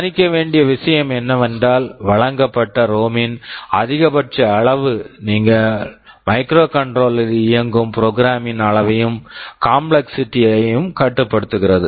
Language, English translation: Tamil, The point to note is that the maximum size of the ROM that is provided limits the size and complexity of the program that you can run on the microcontroller